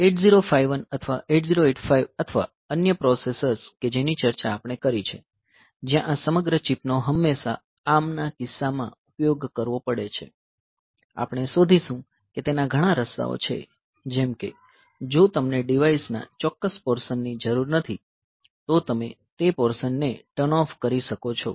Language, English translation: Gujarati, So, unlike say 8051 or 8085 or other processor that we have discussed, where this entire chip always have to use in case of ARM we will find that there are way outs, like if you do not need a certain portion of the device, so you can turn off those portions